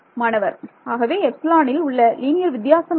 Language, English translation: Tamil, So, epsilon what like what the linear different